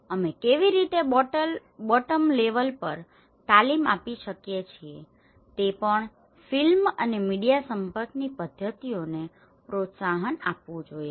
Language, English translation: Gujarati, How we can train at the bottom level approaches also the film and media communication methods should be encouraged